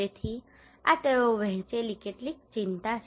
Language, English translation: Gujarati, So these are some of the concern they shared